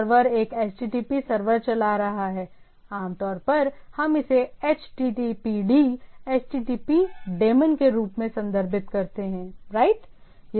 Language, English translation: Hindi, So, server is running a HTTP server, typically we refer this as HTTPD, HTTP daemon right